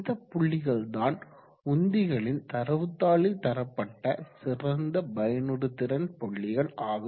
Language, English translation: Tamil, Now these points are the best efficiency parts has indicated in the datasheets of the pumps